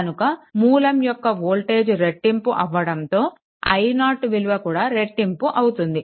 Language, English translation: Telugu, So, this clearly shows that when source voltage is doubled i 0 also doubled